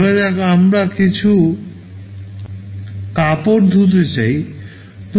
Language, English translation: Bengali, Suppose we want to wash some cloths